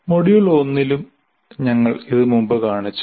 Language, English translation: Malayalam, So we have shown this earlier in the module 1 as well